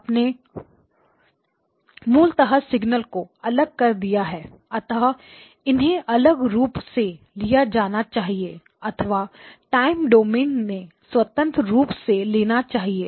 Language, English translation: Hindi, You basically have separated out the signals in; so that they can be treated separately or independently in the time domain, okay